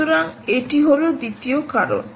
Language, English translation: Bengali, so thats the second reason